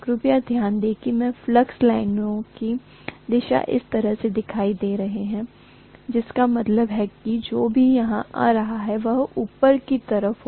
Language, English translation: Hindi, Please note that I have shown the direction of flux lines this way, which means what is coming here will be upward